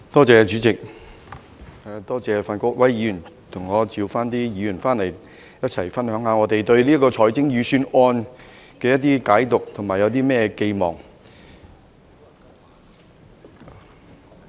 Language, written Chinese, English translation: Cantonese, 主席，多謝范國威議員替我傳召議員回來，一起分享我對這份財政預算案的解讀和寄望。, President I thank Mr Gary FAN for helping me to summon Members back to share my interpretation and expectation of this Budget